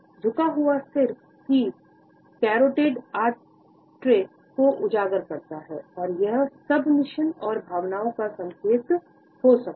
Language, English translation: Hindi, So, the tilted head exposes the carotid artery on the side of the neck, it may be a sign of submission and feelings of vulnerability